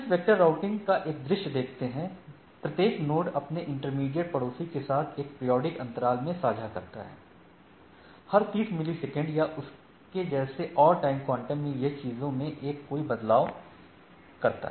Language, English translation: Hindi, And just to have a view of this distance vector routing, so, every in a distance vector, each node shares its routing table with its immediate neighbor in a periodical periodical in a periodical manner at every time interval say every 30 millisecond or so or based on the things and when there is a change